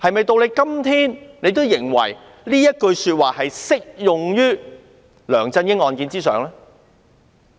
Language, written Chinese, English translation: Cantonese, 到了今天，她是否仍然認為這句話適用於梁振英案件呢？, Today is she still of the view that this remark is applicable to LEUNG Chun - yings case?